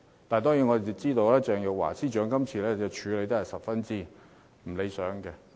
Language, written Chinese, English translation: Cantonese, 當然，我們知道鄭若驊司長今次處理得十分不理想。, We certainly know that Secretary for Justice Teresa CHENGs handling of the matter is far from satisfactory